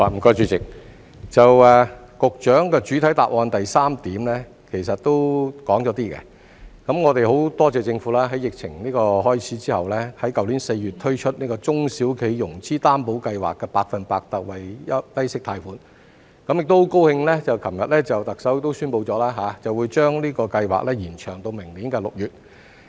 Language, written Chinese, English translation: Cantonese, 局長的主體答覆第三部分其實也說了一部分，我們很多謝政府在疫情開始後，在去年4月推出中小企融資擔保計劃的百分百特惠低息貸款，亦很高興昨天特首宣布會把這個計劃延長到明年6月。, In fact part 3 of the Secretarys main reply has also mentioned part of what follows . We are very grateful to the Government for introducing the special 100 % low - interest concessionary loan under the SME Financing Guarantee Scheme last April after the outbreak of the epidemic . We are also very glad that the Chief Executive announced yesterday the extension of the scheme to June next year